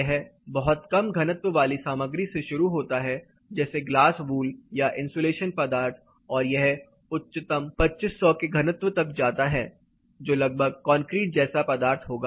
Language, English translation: Hindi, It starts from very low density material like glass wool insulation material and it goes as highest 25 100 thick dense concrete kind of material